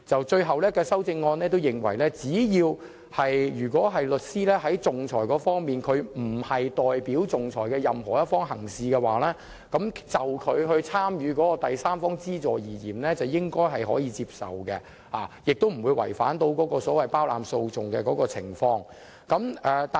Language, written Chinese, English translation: Cantonese, 最終的修正案內容是指，只要有關律師並非代表仲裁的任何一方行事的話，其參與第三方資助應該是可以接受的，亦不會違反所謂包攬訴訟的法則。, According to the final amendments if a lawyer is not acting for any party to the arbitration his engagement in third party funding will be acceptable and not in violation of the regulation against champerty